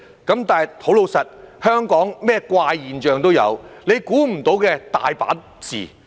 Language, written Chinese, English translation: Cantonese, 不過，老實說，香港甚麼怪現象都有，估不到的情況多的是。, However frankly speaking there are all kinds of strange phenomena and many unexpected situations in Hong Kong